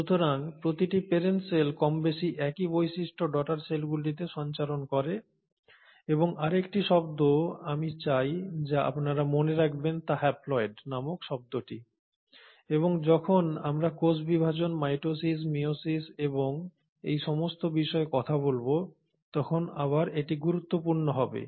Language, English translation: Bengali, So essentially every parent cell will more or less pass on same features to the daughter cells and the other term that I want you to note is that term called haploids and this will again become important when we talk about cell division, mitosis, meiosis and all